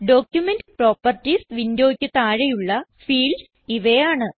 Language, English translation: Malayalam, Document properties window has the following fields